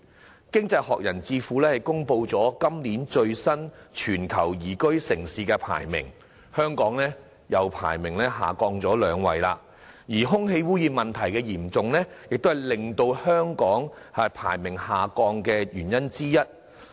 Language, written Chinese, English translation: Cantonese, 在經濟學人智庫公布的今年最新全球宜居城市排名中，香港的排名又下降了兩位，而空氣污染問題嚴重亦是令香港排名下降的原因之一。, According to the Livability Ranking announced by the Economist Intelligence Unit for the current year Hong Kongs ranking has again gone down two places and serious air pollution is one of the factors for the drop of our ranking